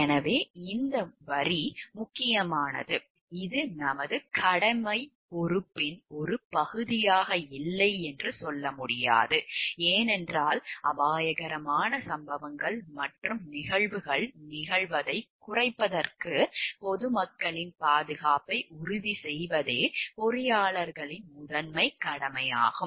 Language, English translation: Tamil, So, this line is important is; we cannot tell like this is not a part of our duty responsibility because, the primary duty of the engineers are to ensure the safety of the public at large to reduce occurrence of hazardous incidents and happenings